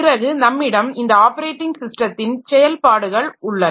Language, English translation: Tamil, Then we have got the operating system operations